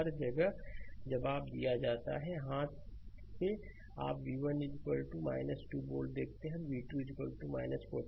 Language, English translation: Hindi, Answers are given everywhere right hand side you see v 1 is equal to minus 2 volt, and v 2 is equal to minus 14 volt this will do